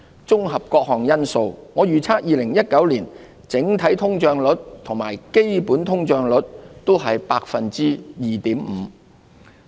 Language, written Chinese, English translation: Cantonese, 綜合各項因素，我預測2019年整體通脹率與基本通脹率均為 2.5%。, Taking various factors into account I forecast that the headline inflation rate and the underlying inflation rate for 2019 will both be 2.5 %